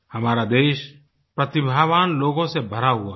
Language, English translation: Hindi, Our country is full of talented people